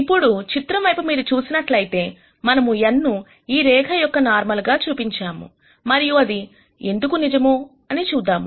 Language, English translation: Telugu, Now if you look at this picture here, we have shown n as a normal to this line